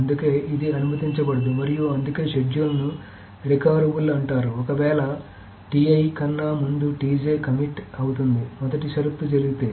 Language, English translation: Telugu, So that is why this is not allowed and that is why a schedule is called recoverable if this, if TJ commits before TTI commits, if the first condition happens